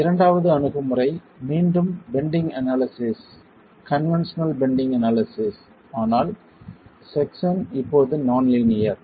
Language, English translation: Tamil, The second approach was again bending analysis, conventional bending analysis but the section now is non linear